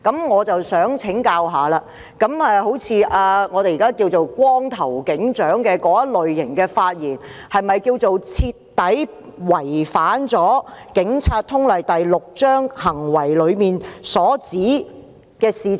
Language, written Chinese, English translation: Cantonese, 我想請教一下，人稱"光頭警長"的警員最近的那些發言，是否徹底違反《警察通例》第6章中"行為"一節所訂的規定？, My question is Are the recent remarks made by the police officer dubbed bald - head sergeant a gross violation of the rules under the Conduct section in Chapter 6 of the Police General Orders?